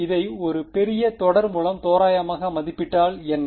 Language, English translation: Tamil, What if we approximate this by a larger series right